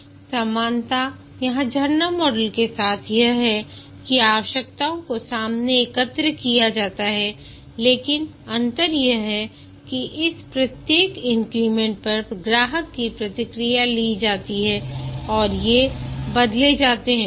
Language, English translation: Hindi, The similarity here with the waterfall model is that the requirements are collected upfront, but the difference is that each of this increment, customer feedback is taken and these change